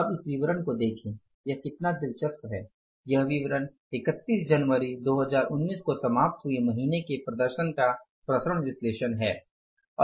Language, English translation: Hindi, The statement is variance analysis of performance for the month ended January 31 2019